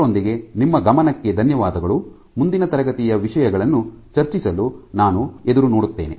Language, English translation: Kannada, With that, I thank you for your attention I look forward to discussing things next class